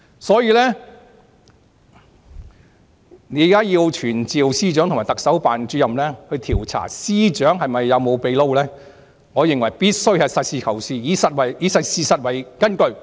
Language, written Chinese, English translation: Cantonese, 所以，現在要傳召司長和特首辦主任，調查司長有否"秘撈"，我認為必須實事求是，以事實為根據。, Therefore if we want to summon the Secretary for Justice and Director of the Chief Executives Office for probing into whether the Secretary for Justice has taken up private jobs I think we must be realistic and should seek truth from facts